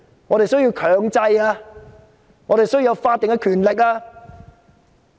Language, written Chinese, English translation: Cantonese, 我們需要進行強制調查、需要法定權力。, We need to have a compulsory inquiry backed by statutory powers